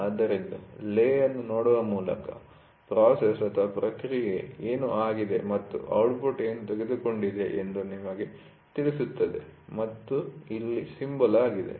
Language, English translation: Kannada, So, then by looking at the lay we will know what is the process done and what is the output taken and here is a symbol